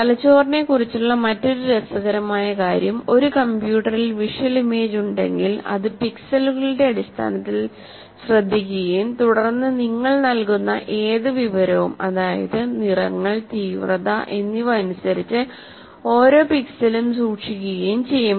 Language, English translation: Malayalam, The other interesting thing about the brain is it is like if you have a visual image possibly in a computer will take care of, look at it in terms of pixels and then try to save each pixel with the with regard to the whatever information that you have about the colors in intensity and so on